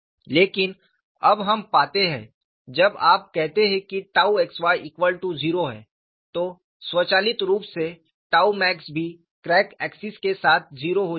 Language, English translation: Hindi, We have not proceeded from that perspective at all; but we are finding now, when you say tau xy equal to 0, automatically tau max is also 0 along the crack axis